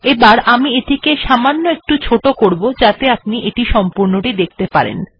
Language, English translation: Bengali, Now what I will do is I will make this smaller so that you can see all of it